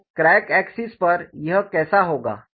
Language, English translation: Hindi, So, on the crack axis, how it will be